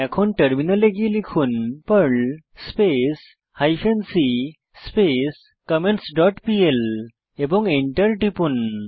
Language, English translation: Bengali, Switch to the Terminal, and type perl hyphen c comments dot pl and press Enter